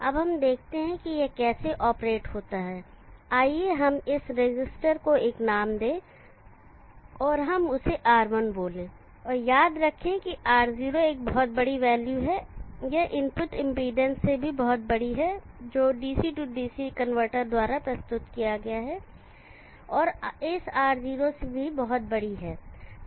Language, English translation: Hindi, Now let us see how this operates, let us give this resistor a name and let us call that one as R1, and remember that R1 is a very large value this much, much larger than the input impedance that is presented by the DC DC converter and much larger than this R0